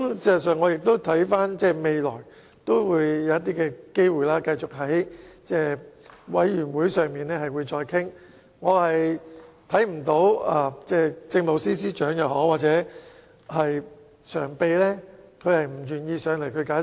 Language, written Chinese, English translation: Cantonese, 事實上，我們未來可以繼續在聯合小組委員會會議上討論，我看不到政務司司長及民政事務局常任秘書長不願意出席會議解釋。, In fact we can continue with our discussion at future meetings of the Joint Subcommittee and I cannot see why the Chief Secretary and the Permanent Secretary will be unwilling to attend meetings and give explanation